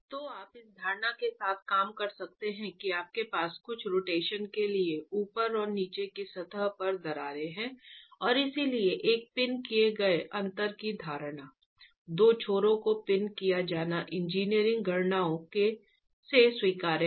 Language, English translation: Hindi, So, you can work with the assumption that you have cracked surfaces at the top and the bottom allowing for some rotation and therefore the assumption of a pinned end of the two ends being pin is rather acceptable from the engineering calculations themselves